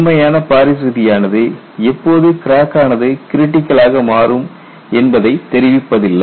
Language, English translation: Tamil, As such Paris law does not tell you when the crack becomes critical